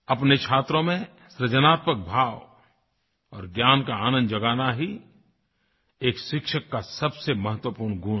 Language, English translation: Hindi, " The most important quality of a teacher, is to awaken in his students, a sense of creativity and the joy of learning